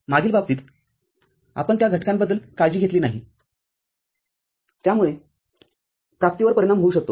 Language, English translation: Marathi, In the previous case, we did not bother about those factors that can affect the realization